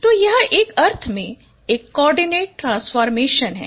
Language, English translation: Hindi, So it's a coordinate transformation in one sense